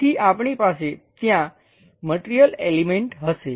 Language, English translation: Gujarati, So, we will have material element there